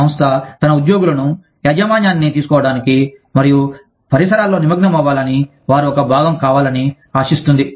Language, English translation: Telugu, The organization expects its employees, to take ownership, and become a part of the milieu, that they are a part of